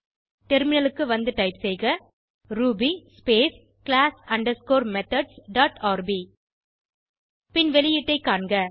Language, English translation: Tamil, Switch to the terminal and type ruby space class underscore methods dot rb and see the output